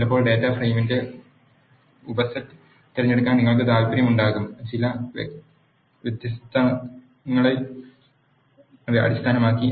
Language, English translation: Malayalam, Sometimes you will be interested in selecting the subset of the data frame; based on certain conditions